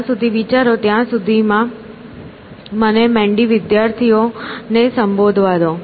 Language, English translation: Gujarati, While you are thinking, meanwhile let me address the mandy students